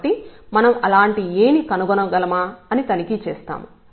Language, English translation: Telugu, So, we will check whether we can find such a A